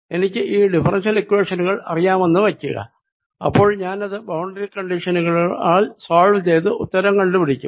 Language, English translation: Malayalam, then i would solve the differential equation with these boundary conditions and that'll give me the answer